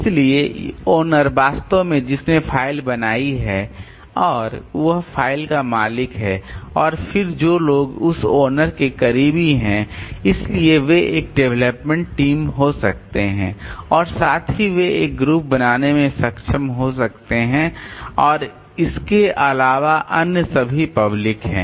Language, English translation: Hindi, So, owner actually who created the file and he owns the file and then the people who are close to that owner may be so they may be a development team and also they may be able to they form a group and outside that all other so they are the public